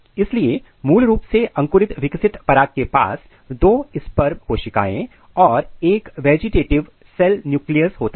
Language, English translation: Hindi, So, this is a typical germinating mature pollens which is which has to a sperm cells and one vegetative cell nucleus and this is mature ovule cells